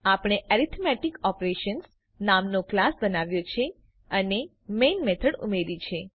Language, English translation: Gujarati, We have created a class by name Arithmetic Operations and added the main method